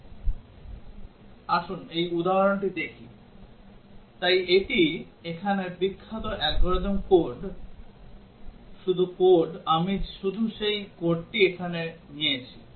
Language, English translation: Bengali, Let us look at this example, so this is famous algorithm here just code I just taken that code here